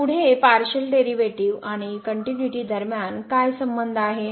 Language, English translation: Marathi, So, what is the Relationship between the Partial Derivatives and the Continuity